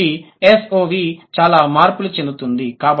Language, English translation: Telugu, So, SOV changes the most, right